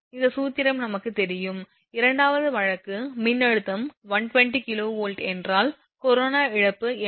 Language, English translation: Tamil, This one actually known to us this formula is known to us and second case it is ask that if the voltage is 120 kV what is the corona loss